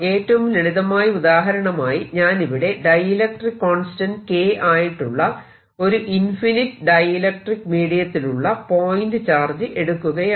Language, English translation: Malayalam, a simplest example would be: i have a point charge which is an infinite dielectric medium of dielectric constant